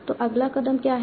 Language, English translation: Hindi, So what was the next step